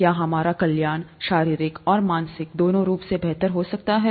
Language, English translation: Hindi, Can our wellness, both physical and mental be better